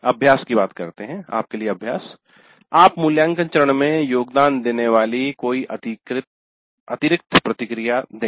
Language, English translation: Hindi, So exercise give any additional processes that contribute to the evaluate phase